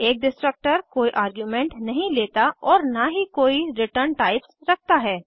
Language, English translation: Hindi, A destructor takes no arguments and has no return types